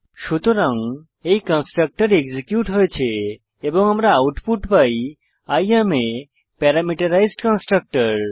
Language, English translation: Bengali, So this constructor is executed and we get the output as I am Parameterized Constructor